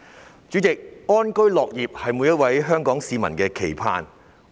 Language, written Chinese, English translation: Cantonese, 代理主席，安居樂業是每一位香港市民的期盼。, Deputy President to live and work in contentment is the aspiration of every Hong Kong person